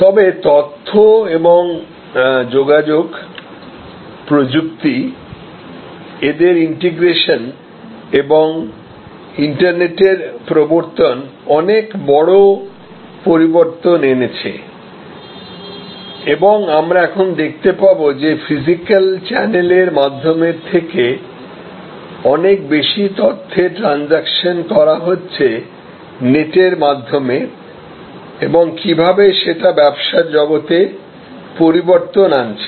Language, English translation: Bengali, But, the introduction of information and communication, technology, integration and introduction of internet has created some big shifts and we will just now see that this more and more informational transactions over the net and not over the physical channel in what way they, it has change the business world